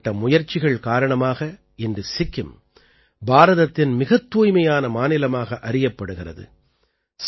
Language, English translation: Tamil, Due to such efforts, today Sikkim is counted among the cleanest states of India